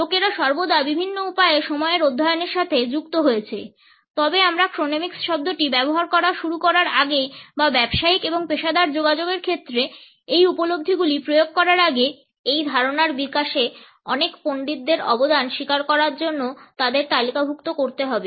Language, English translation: Bengali, People have always been associated with studies of time in different ways, but before we started using the term chronemics or even before we apply these understandings in the area of business and professional communication, a number of scholars have to be listed to acknowledge their contribution for the development of this idea